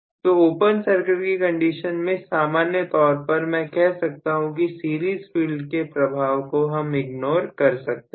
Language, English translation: Hindi, So, under open circuit condition in general I can say under open circuit condition series field influence can be ignored